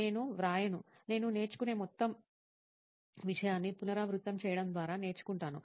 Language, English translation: Telugu, I will not write it, I used to learn like by repeating the whole thing I will learn it